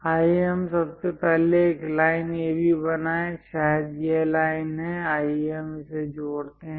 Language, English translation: Hindi, Let us first draw a line AB; maybe this is the line; let us join it